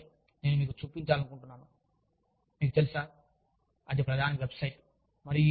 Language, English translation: Telugu, The other thing, that i want to show you, of course, you know, that is the main website